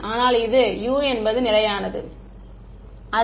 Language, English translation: Tamil, But which is U is not constant